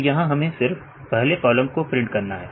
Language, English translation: Hindi, So, here we have to print only the first column